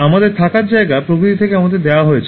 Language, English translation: Bengali, Our living space is actually given to us by nature